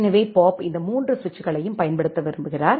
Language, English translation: Tamil, So, Bob wants to use these 3 switches